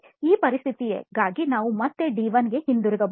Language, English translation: Kannada, Again for this situation we can go back to D1